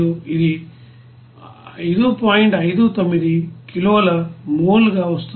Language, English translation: Telugu, 59 kilo mole